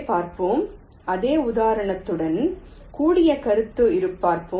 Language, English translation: Tamil, ok, let see the concept with the same example